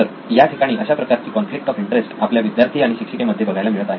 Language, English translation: Marathi, So this is the conflict of interest between the student and the teacher